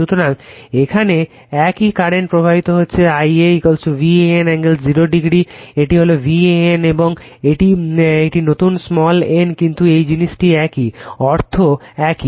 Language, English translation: Bengali, So, I a the same current is flowing here I a is equal to V a n angle 0 , this is your V a n and this is a new small n same thing right same , I will meaning is same